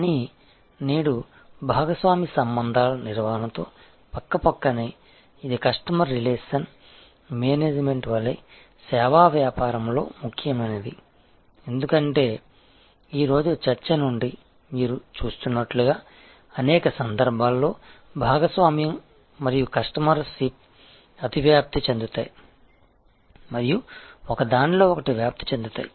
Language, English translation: Telugu, But, today side by side with managing partner relationships, which is as important in service business as is customer relationship management, because as you will see from today's discussion, that in many cases there is a partnership and customer ship overlap and defuse in to each other